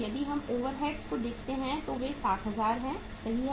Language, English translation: Hindi, If you look at the overheads they are 60,000 right